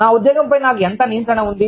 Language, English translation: Telugu, How much of control, i have, over my job